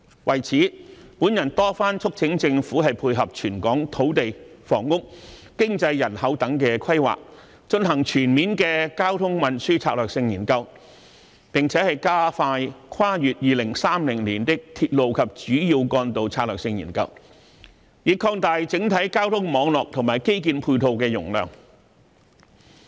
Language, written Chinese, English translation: Cantonese, 為此，我多番促請政府配合全港土地、房屋、經濟、人口等規劃，進行全面的交通運輸策略性研究，並且加快《跨越2030年的鐵路及主要幹道策略性研究》，以擴大整體交通網絡和基建配套的容量。, In view of this I have repeatedly urged the Government to carry out a comprehensive traffic and transport strategy study to tie in with the planning on land use housing economy demography etc . of Hong Kong and speed up the Strategic Studies on Railways and Major Roads beyond 2030 to expand the capacity of the transport network and infrastructure facilities as a whole